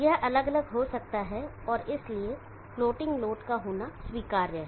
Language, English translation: Hindi, It can be different and therefore, it is permissible to how the load floating